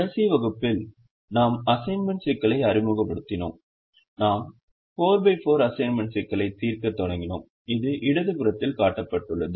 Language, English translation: Tamil, in the last class we introduced the assignment problem and we started solving a four by four assignment problem, which is shown on the left hand side